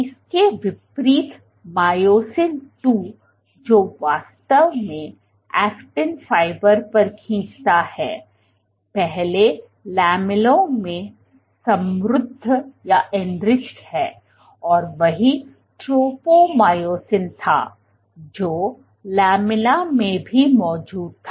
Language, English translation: Hindi, In contrast myosin II which actually pulls on actin, which pulls on actin fibers first enriched in lamella and same was tropomyosin this was also present in lamina